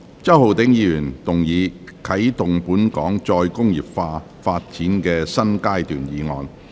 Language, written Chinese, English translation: Cantonese, 周浩鼎議員動議的"啟動本港再工業化發展的新階段"議案。, Mr Holden CHOW will move a motion on Commencing a new phase in Hong Kongs development of re - industrialization